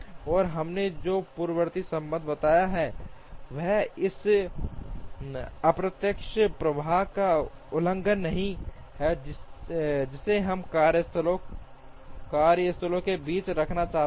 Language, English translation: Hindi, And the precedence relationship that we have described is not violated by the unidirectional flow that we want to have amongst the workstations